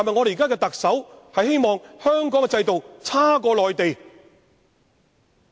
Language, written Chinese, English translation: Cantonese, 現任特首是否希望香港的制度差於內地？, Does the incumbent Chief Executive wish Hong Kong to have a system worse than that in the Mainland?